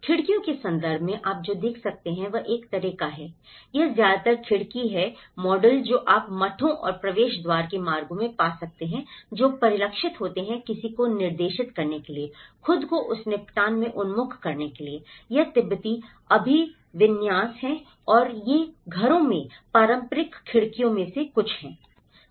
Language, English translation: Hindi, In terms of windows, what you can see is a kind of this is mostly, these are the window models which you can find in the monasteries and the entrance gateways which are reflected to direct someone, to orient themselves into the settlement that, this is a Tibetan orientation and these are the some of the traditional windows in the houses